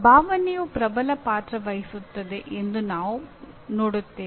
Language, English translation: Kannada, We will see that emotion plays a dominant role